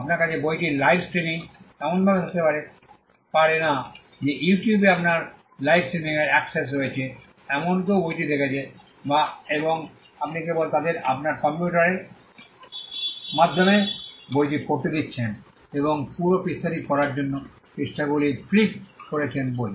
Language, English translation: Bengali, You cannot have a live streaming of the book in such a way that somebody who has access to your live streaming say on YouTube is watching the book and you are just letting them read the book through your computer and flipping pages for them to read the complete book